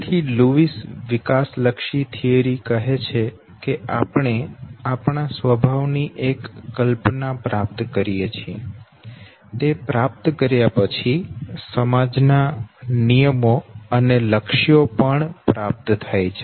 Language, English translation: Gujarati, So Lewis developmental theory says, that we acquire one are this concept of the self, who am I, and two after I acquire who am I, I also acquire the standards rules and goals of my society